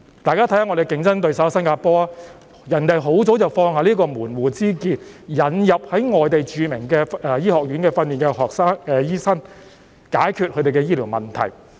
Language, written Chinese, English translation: Cantonese, 大家看看我們的競爭對手新加坡，他們很早已經放下門戶之見，引入在外地著名醫學院受訓的醫生，藉以解決他們的醫療問題。, Let us take a look at our competitor Singapore . They have set aside their sectarian views long ago to admit doctors trained in renowned medical schools overseas to solve their healthcare problems